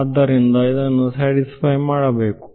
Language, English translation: Kannada, So, this has to be satisfied